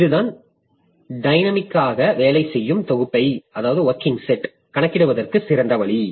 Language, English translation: Tamil, So, this way we can compute the working set dynamically